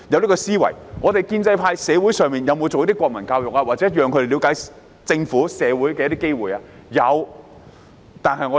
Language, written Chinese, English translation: Cantonese, 建制派在社會上有否推行國民教育，或有否提供讓學生了解政府和社會的機會？, Has the pro - establishment camp sought to implement national education or provide students with opportunities to understand the Government and the community?